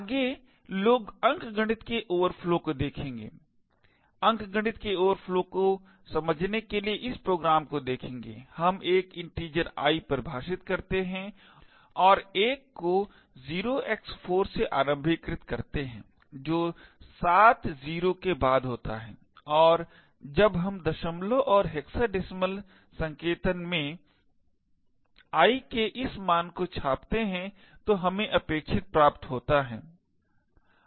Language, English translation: Hindi, Next people look at arithmetic overflows and to understand arithmetic overflows we look at this program, we define an integer l and initialise l to 0x4 followed by 7 0s and when we do print this value of l in decimal and hexa decimal notation we get what is expected